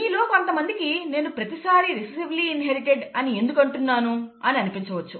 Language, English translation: Telugu, Now, some of you might have been wondering why did I keep harping on recessively inherited, okay